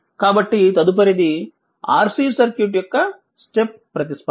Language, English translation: Telugu, So, next is step response of an RC circuit